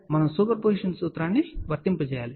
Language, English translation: Telugu, We have to apply the principle of superposition